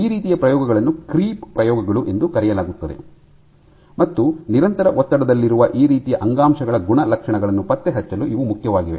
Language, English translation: Kannada, So, these kinds of experiments are called creep experiments, and these are important for tracking properties of those kind of tissues which are under constant stress